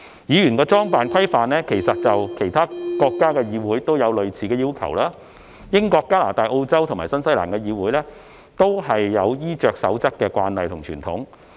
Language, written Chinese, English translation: Cantonese, 議員的裝扮規範其實在其他國家的議會均有類似要求，英國、加拿大、澳洲及新西蘭的議會，均有衣着守則的慣例及傳統。, As a matter of fact there are similar dress codes for parliament members in other countries . The parliaments of the United Kingdom Canada Australia and New Zealand all have their own practices and customs in regard to attire